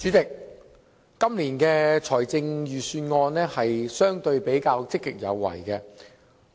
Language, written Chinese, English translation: Cantonese, 主席，本年的財政預算案比較積極有為。, President the Budget this year is quite proactive